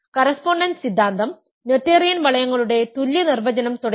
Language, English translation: Malayalam, The correspondence theorem, the equivalent definition of noetherian rings and so on